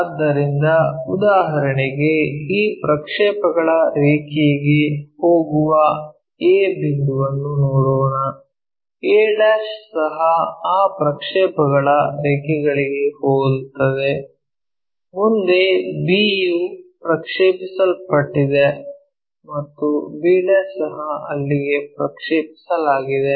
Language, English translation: Kannada, So, for example, let us look at a point goes on to this projector line a' also goes on to that projected line, next b one projected to that and b' also projected to there